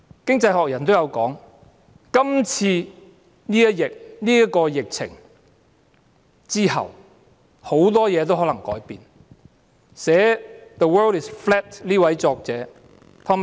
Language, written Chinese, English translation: Cantonese, 《經濟學人》亦有指出，今次疫情之後，很多事情可能也會改變。, The Economist has also pointed out that when this epidemic is over many things might be changed